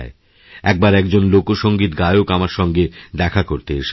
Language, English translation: Bengali, Once a folk singer came to meet me